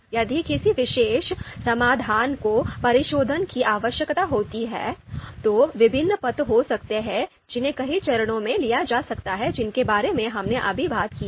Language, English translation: Hindi, If a particular solution is you know requires refinement, there could be different paths that can be taken across a number of steps that we just talked about